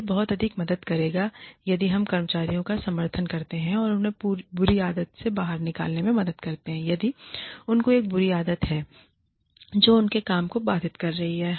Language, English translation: Hindi, It would help much more, if we supported the employees, and help them get out of a bad habit, if they have a bad habit, that is disrupting their work